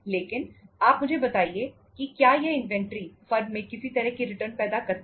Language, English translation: Hindi, But you tell me these inventories do they generate any kind of the return to the firm